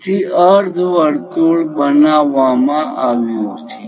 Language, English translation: Gujarati, So, semicircle is constructed